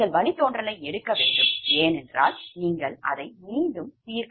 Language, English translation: Tamil, you have to take the derivative right because you have, you have to solve iteratively